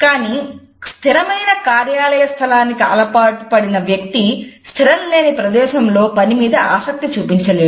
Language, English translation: Telugu, But a person who has been used to a fixed office space may not feel the same level of work enthusiasm in a non fixed space